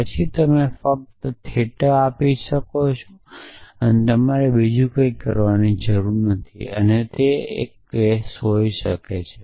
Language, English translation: Gujarati, Then you can just return theta you do not have to do anything else it could be the case